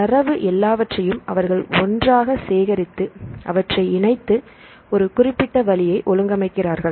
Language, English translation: Tamil, So, they collect the data right put everything together and they organize a specific way right